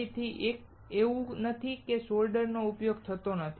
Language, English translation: Gujarati, Again, it is not that soldering is not used